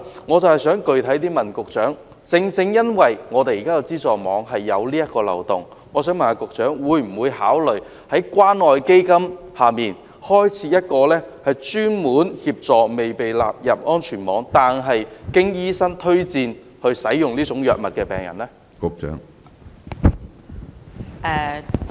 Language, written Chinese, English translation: Cantonese, 我想具體問局長，正正因為現有的安全網存在這個漏洞，局長會否考慮在關愛基金項下開設專項，以協助未被納入安全網但獲醫生推薦使用這些藥物的病人呢？, I have this specific question for the Secretary . Given this loophole of the safety net will the Secretary consider setting up a new item under CCF to help patients who have been recommended by their doctor to use drugs not included in the safety net?